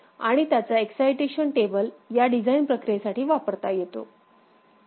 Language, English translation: Marathi, And the corresponding excitation table can be used for this design process